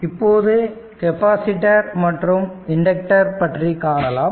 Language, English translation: Tamil, Ok, so let us come to this topic capacitors and inductor